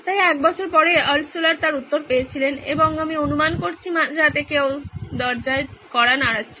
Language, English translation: Bengali, So a year later he did Altshuller did get his reply and I am guessing it was in the middle of the night somebody knocking at the door